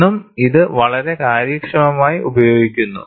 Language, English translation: Malayalam, This is very efficiently used even today